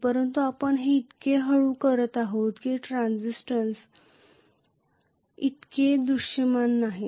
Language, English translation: Marathi, But we are doing it so slowly that the transients are not so visible